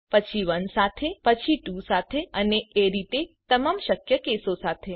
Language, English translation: Gujarati, Then with 1 then with 2 and so on with all the possible cases